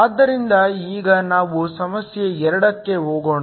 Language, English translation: Kannada, So, let us now go to problem 2